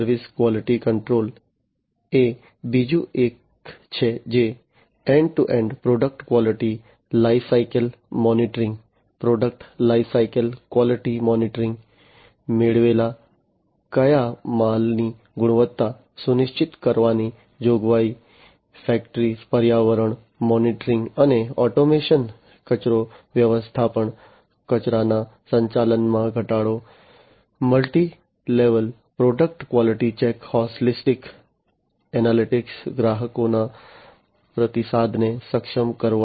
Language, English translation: Gujarati, Service quality control is another one, which is about end to end product quality life cycle monitoring, product life cycle quality monitoring, provisioning to ensure quality of raw materials that are procured, factory environment, monitoring and automation, waste management, reduced waste management, multi level product quality check, holistic analytics, enabling feedback from customers